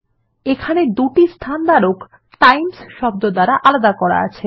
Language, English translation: Bengali, It shows two place holders separated by the word Times